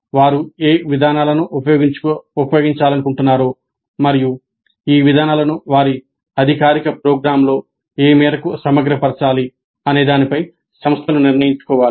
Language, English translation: Telugu, Institutes must decide on which approaches they wish to use and what is the extent to which these approaches need to be integrated into their formal programs